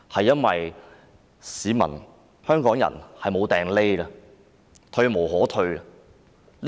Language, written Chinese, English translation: Cantonese, 因為市民、香港人已無處可逃，退無可退。, Because the public and Hongkongers have got no leeway and can retreat no further